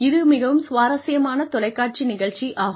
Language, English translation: Tamil, It is a very interesting TV show